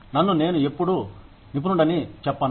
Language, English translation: Telugu, I will not call myself, an expert, ever